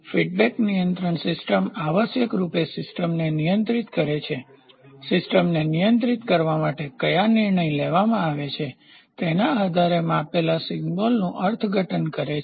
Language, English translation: Gujarati, So, a feedback control system essentially controls that interprets the measured signal depending on which decision is taken to control the system